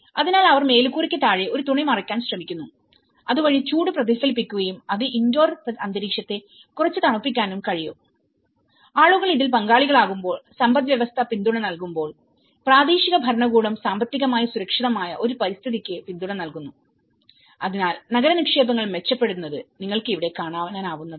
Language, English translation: Malayalam, So, they try to cover a cloth under the roof so that it can you know reflect the heat and it can make the indoor environment a little cooler and when people are participant in this, when the economy is giving support and the local government is technically giving support for a safer environments, so that is where you know the urban investments what you can see here today is they are improving